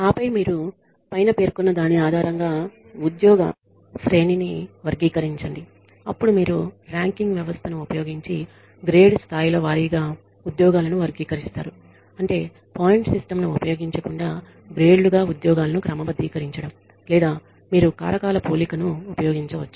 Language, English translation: Telugu, And then you classify you create a job hierarchy based on the above then you classify the jobs by grade levels using either a ranking system which means sorting jobs into grades without using a point system or you use factor comparison, you policy capturing